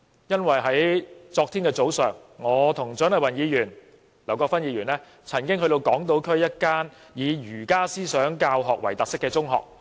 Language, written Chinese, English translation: Cantonese, 因為在昨天早上，我與蔣麗芸議員及劉國勳議員曾到訪港島區一間以儒家思想教學為特色的中學。, It is because yesterday morning I together with Dr CHIANG Lai - wan Mr LAU Kwok - fan visited a secondary school on the Hong Kong Island run under the philosophy of Confucianism